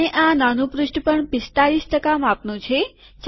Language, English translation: Gujarati, And this mini page also is 45 percent size